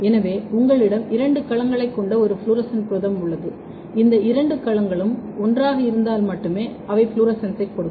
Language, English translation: Tamil, So, if you have a fluorescent protein which has two domains, but if these two domains are together then and only then they will give the fluorescence